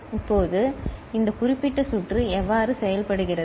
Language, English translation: Tamil, Now, how this particular circuit works